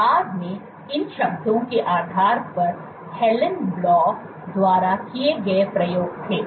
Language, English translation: Hindi, So, subsequently based on these words there was experiments done by Helan Blau